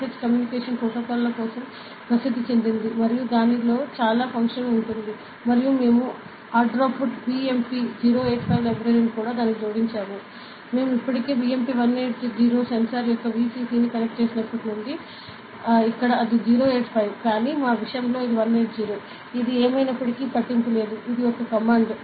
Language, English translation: Telugu, So, Wire dot h is popularly used for communication protocols and it has a lot of function inside it and we also added the Adafruit BMP 085 library into it, Then we already since we have connected the VCC of the BMP 180 sensor, here it is 085; but in our case it is 180, it does not matter anyway, it is a command ok